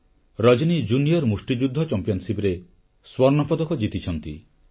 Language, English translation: Odia, Rajani has won a gold medal at the Junior Women's Boxing Championship